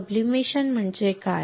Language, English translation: Marathi, What is sublimation